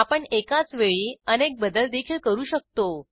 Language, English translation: Marathi, We can make multiple substitutions in one go as well